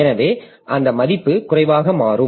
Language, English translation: Tamil, So that value will become low